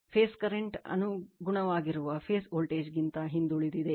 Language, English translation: Kannada, The phase current lag behind their corresponding phase voltage by theta